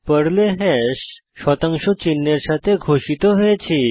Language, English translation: Bengali, Hash in Perl is declared with percentage sign